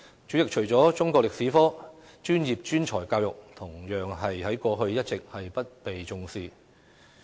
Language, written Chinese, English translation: Cantonese, 主席，除了中國歷史科，職業專才教育同樣一直不被重視。, President apart from Chinese History vocational and professional education and training VPET has also been considered unimportant all along